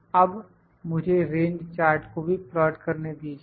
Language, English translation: Hindi, Now, let me try to plot the range chart as well